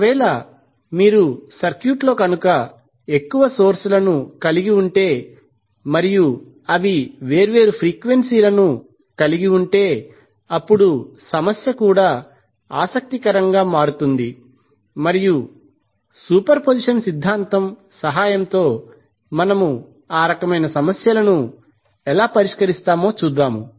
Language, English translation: Telugu, So, if you have multiple sources connected in the circuit and those sources are having a different frequencies, then the problem will also become interesting and we will see how we will solve those kind of problems with the help of superposition theorem